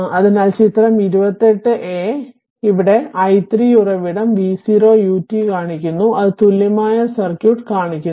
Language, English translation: Malayalam, So, figure 28 a shows a voltage source v 0 u t and it is equivalent circuit is shown